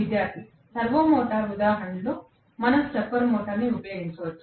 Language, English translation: Telugu, Student: In the servo motor example can we use stepper motor